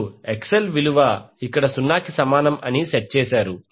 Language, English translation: Telugu, You set the value of XL is equal to 0 here